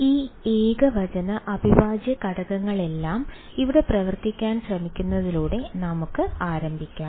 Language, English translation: Malayalam, So, let us start with trying to put all these singular integrals to work over here